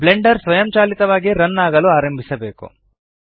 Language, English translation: Kannada, Blender should automatically start running